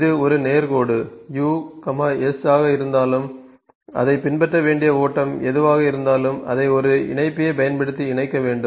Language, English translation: Tamil, That it is a straight line u, s, whatever the flow it has to follow it has to be connected using a connector